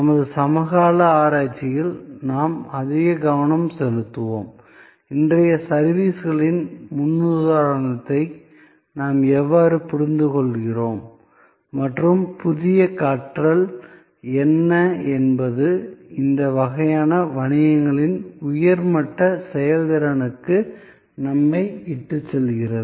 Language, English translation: Tamil, We will focus more and more on our contemporary research and how we understand today’s paradigm of services and what are the new learning's, that are leading us to higher level of performance in these kind of businesses